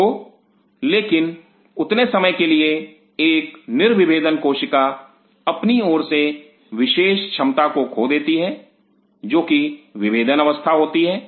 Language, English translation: Hindi, So, but for the time being a de differentiated cell loses it is that unique capability of is differentiated state